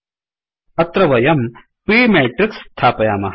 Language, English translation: Sanskrit, Supposing we put p matrix here